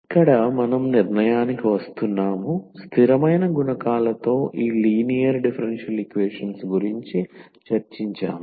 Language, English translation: Telugu, Well so coming to the conclusion here, so we have discussed about this linear differential equations with constant coefficients